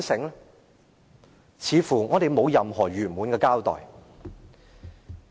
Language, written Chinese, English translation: Cantonese, 我們似乎得不到任何圓滿的交代。, A satisfactory explanation seems to be unavailable